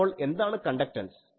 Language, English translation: Malayalam, So, what is the conductance